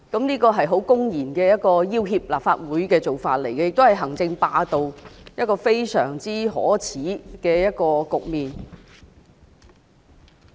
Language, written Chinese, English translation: Cantonese, 這是一個公然要脅立法會的做法，亦是行政霸道，是一個非常可耻的局面。, This is a blatant threat to the Legislative Council and an indication of executive hegemony . This is really a great shame